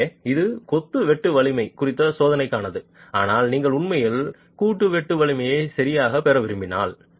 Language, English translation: Tamil, So, that is for the test on masonry shear strength, but if you want to actually get the joint shear strength, right